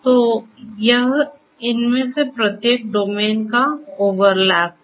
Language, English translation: Hindi, So, it is an overlap of each of these the domains